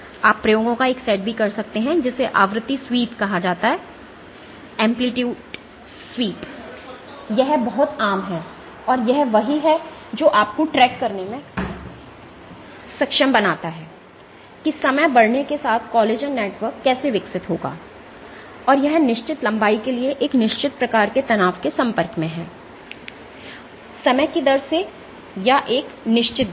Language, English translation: Hindi, You can also do another set of experiments which are called frequency sweep, this is very common, and this is what enables you to track the how the collagen networks would evolve as time progresses and it is exposed to stresses of a certain kind for certain length of time or at a certain rate ok